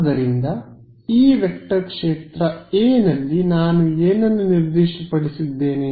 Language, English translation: Kannada, So, for this vector field A what have I specified